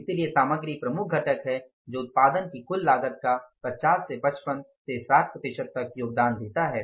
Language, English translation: Hindi, So, material is the major component which contributes to 50 to 50 to 60 percent of the total cost of production